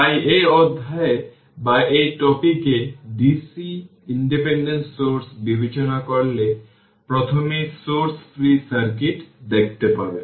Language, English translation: Bengali, So, in this chapter or in this topic we will consider dc independent sources right first will see the source free circuit